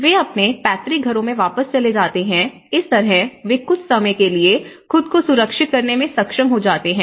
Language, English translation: Hindi, So, they go back to their parental homes or their ancestral homes, so in that way, they could able to be secured themselves for some time